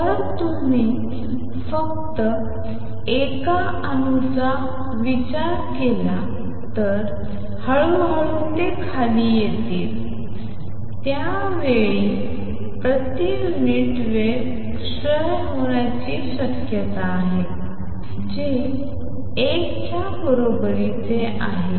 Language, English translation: Marathi, Slowly it comes down if you consider only 1 atom it has a probability of decaying per unit time which is equal to 1